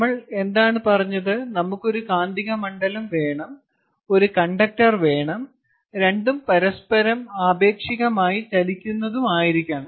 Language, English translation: Malayalam, we need to have a magnetic field and we need to have a conductor, and the two should be moving relative to each other